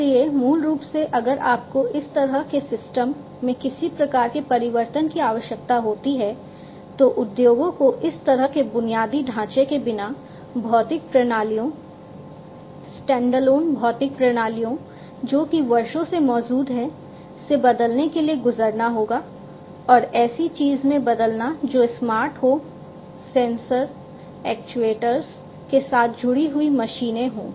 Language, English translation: Hindi, So, basically if you need to have such a kind of system getting some kind of a transformation that the industries will have to go through to transform from the physical systems the standalone physical systems without these kind of infrastructure that has been existing for years, and then transforming into something that is more smart, smarter machines, connected machines, machines with sensors actuators, and so on